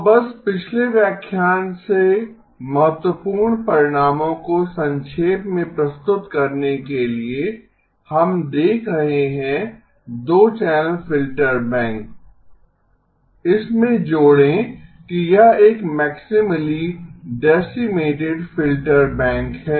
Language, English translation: Hindi, So just to quickly summarize the key results from the previous lecture, we are looking at the 2 channel filter bank, add to this that it is a maximally decimated filter bank